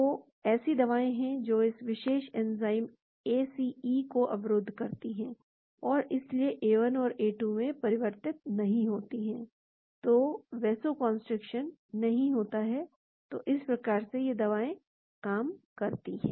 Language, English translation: Hindi, So, there are drugs which block this particular enzyme ACE and so A1 does not get converted to A2, , so the vasoconstriction does not happen, so this is how these drugs work